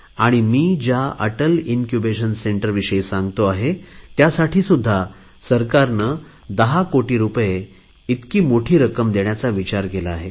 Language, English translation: Marathi, And when I talk of Atal Incubation Centres, the government has considered allocating the huge sum of 10 crore rupees for this also